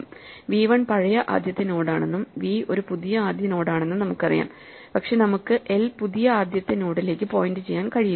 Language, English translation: Malayalam, So, we know now that v 1 is the old first node and v is a new first node, but we cannot make l point to the new first node, so we exchange the values